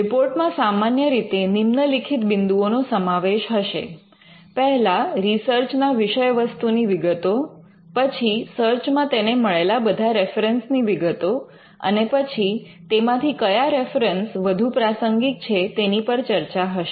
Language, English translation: Gujarati, The report will usually cover the following things; one it would detail the subject matter of the search, it would detail the references that the searcher came across during the search, it would have a discussion on the references that are more relevant